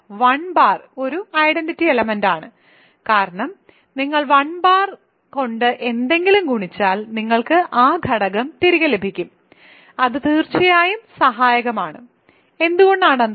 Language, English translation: Malayalam, Namely 1 bar right, 1 bar is an identity element, because whenever you multiply anything by 1 bar you get that element back ok, it is certainly associative, why is that